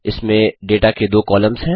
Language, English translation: Hindi, It contains two columns of data